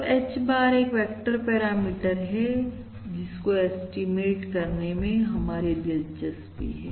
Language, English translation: Hindi, So this, basically, H bar, is the vector parameter which we are interested in estimating